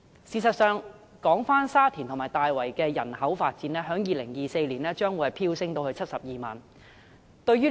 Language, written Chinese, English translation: Cantonese, 事實上，沙田和大圍的人口將於2024年飆升至72萬人。, In fact the population in Sha Tin and Tai Wai will surge to 720 000 in 2024